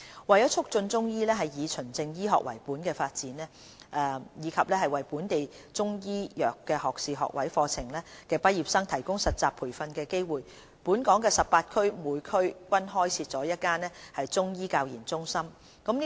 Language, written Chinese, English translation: Cantonese, 為促進中醫藥以"循證醫學"為本的發展，以及為本地中醫藥學士學位課程畢業生提供實習培訓的機會，全港18區每區均開設了1間中醫教研中心。, To promote the development of evidence - based Chinese medicine and provide training placements for graduates of local undergraduate programmes in Chinese medicine a Chinese Medicine Centres for Training and Research CMCTR has been set up in each of the 18 districts